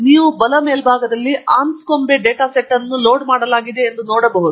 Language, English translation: Kannada, Once I do that, as you can see on the top right, Anscombe data set has been loaded